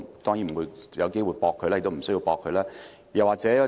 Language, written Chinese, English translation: Cantonese, 我沒有機會駁斥他，亦沒有需要這樣做。, I do not have any chance to refute his accusations nor do I see any need to do so